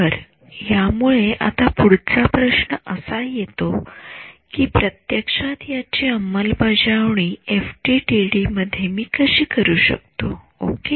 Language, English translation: Marathi, So, that brings us to the next question of how do I actually implement this in FDTD ok